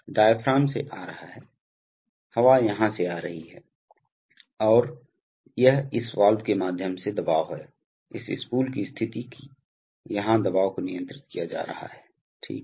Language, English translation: Hindi, So the diaphragm is coming from, the air is coming from here, and it is through this valve that the pressure, the position of this spool, that the pressure here is being controlled, right